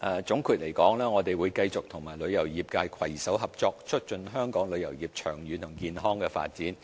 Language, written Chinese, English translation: Cantonese, 總括而言，我們會繼續與旅遊業界攜手合作，促進香港旅遊業長遠和健康發展。, All in all we will continue to join hands with the tourism industry in promoting the long - term and healthy development of the tourism industry of Hong Kong